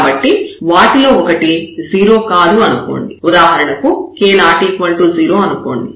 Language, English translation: Telugu, So, if 1 of them is non zero for example, k is non zero